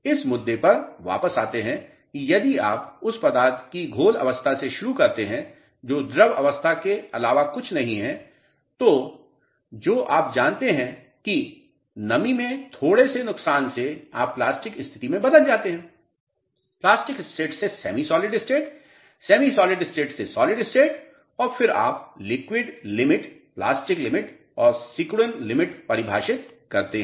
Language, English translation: Hindi, Coming back to the issue if you start from a slurry state of the material which is nothing but liquid state, little bit loss in moisture you know you transform to plastic state, plastic state to semi stolid state, semi solid state to solid state and then you define liquid limit, plastic limit and shrinkage limit